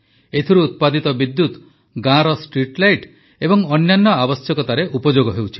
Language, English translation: Odia, The electricity generated from this power plant is utilized for streetlights and other needs of the village